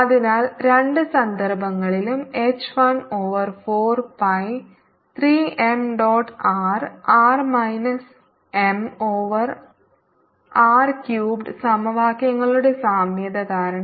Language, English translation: Malayalam, so h in both cases is one over four pi three m dot r r minus m over r cubed, as just derived because of the analogy of the equations